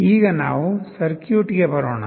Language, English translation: Kannada, Now, let us come to the circuit